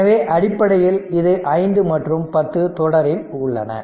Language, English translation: Tamil, So, basically what happen this 5 and 10 ohm are in series